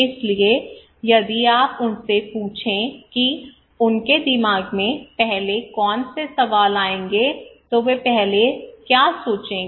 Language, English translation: Hindi, So if you ask them what questions will come first in their mind what will they think first